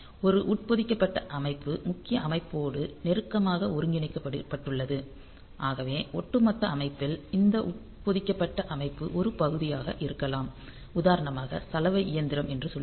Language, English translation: Tamil, So, an embedded system it is closely integrated with the main system and it so, it may be that in the overall system this embedded system is a part for example, the say the washing machine